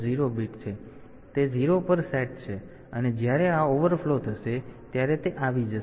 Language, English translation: Gujarati, So, that is set to 0, and when this overflow occurs then it will be coming